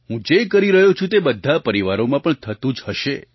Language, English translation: Gujarati, What I am doing must be happening in families as well